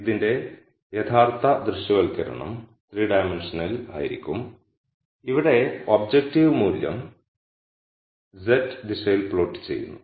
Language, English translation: Malayalam, So, real visualization of this would be in 3 dimensions where the objective function value is plotted in the z direction